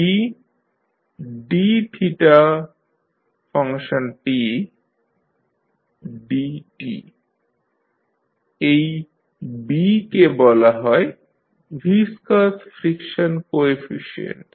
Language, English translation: Bengali, This B is called a viscous friction coefficient